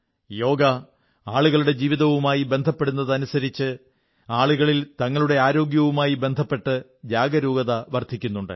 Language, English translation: Malayalam, As 'Yoga' is getting integrated with people's lives, the awareness about their health, is also continuously on the rise among them